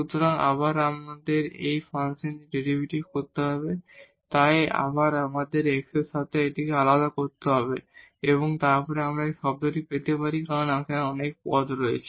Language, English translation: Bengali, So, to again we have to get the derivative of this function, so once again we have to differentiate this with respect to x and then we can get this term because there will be now many terms